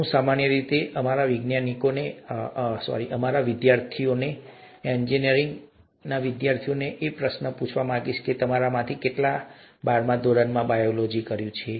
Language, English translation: Gujarati, I usually ask this question to our students, our engineering students, “How many of you have done biology in twelfth standard